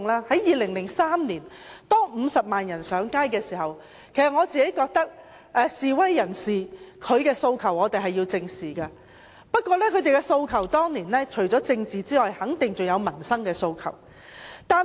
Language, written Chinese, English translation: Cantonese, 在2003年，當50萬人上街時，我覺得示威人士的訴求是需要正視的，但他們當年除了有政治訴求外，肯定還有民生訴求。, In 2003 when 500 000 people took to the streets I considered that their aspirations should be addressed squarely . However apart from political demands there were also livelihood - related demands